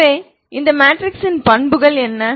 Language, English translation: Tamil, Look at the matrix equations, ok